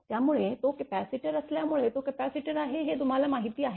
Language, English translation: Marathi, So, because it is a capacitor you know that it is a capacitor